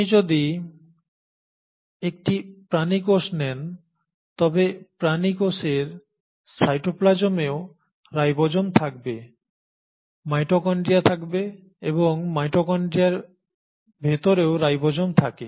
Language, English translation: Bengali, So if you take an animal cell, the animal cell in the cytoplasm will also have ribosomes, will have a mitochondria and within the mitochondria it will also have a ribosome